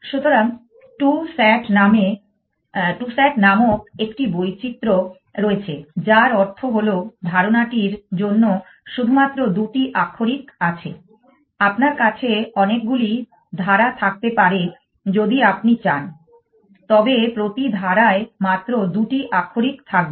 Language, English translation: Bengali, So, there is a variation called two sat, which means the there is only two little literals for clause we can have many clauses has you want, but only two literals per clause